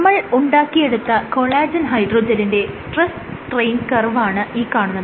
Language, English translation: Malayalam, So, this is an example of how a stress strain curve would look for a collagen hydrogel that you fabricate